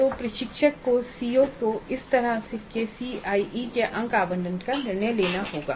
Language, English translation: Hindi, So the instructor has to decide on this kind of CIE marks allocation to COs